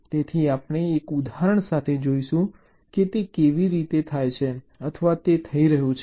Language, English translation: Gujarati, so we shall see with an example how it is done or it is happening